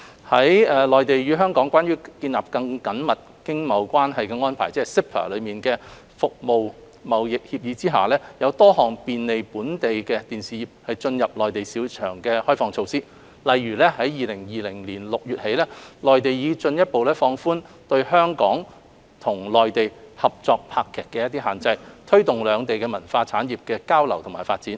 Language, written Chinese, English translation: Cantonese, 在《內地與香港關於建立更緊密經貿關係的安排》《服務貿易協議》下，有多項便利本地電視業進入內地市場的開放措施，例如，自2020年6月起，內地已進一步放寬對香港與內地合作拍劇的限制，推動兩地文化產業的交流與發展。, Under the Agreement on Trade in Services of the Mainland and Hong Kong Closer Economic Partnership Arrangement CEPA various liberalization measures are available to facilitate the Hong Kong broadcasting sector in gaining access to the Mainland market . For example the Mainland has since June 2020 further relaxed the restrictions on TV programmes jointly produced by Hong Kong and the Mainland with a view to promoting the exchanges and development in cultural industries of both places